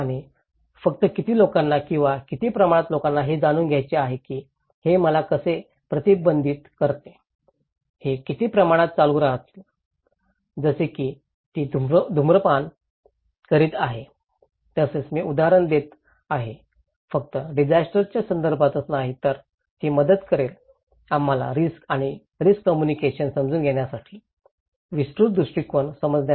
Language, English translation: Marathi, And not only how many or what extent but people want to know, that how that will hamper me okay, what extent that this will continue, like she may be smoking, well I am giving examples is not only in disaster context, it will help us to understand the broader perspective of understanding the risk and risk communication